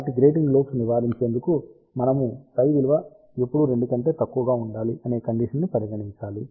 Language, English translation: Telugu, So, to avoid grating lobes, we have to put the condition that psi should be always less than or equal to 2 pi